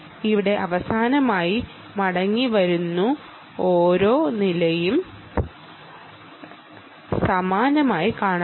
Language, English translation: Malayalam, coming back, finally, every floor will look identical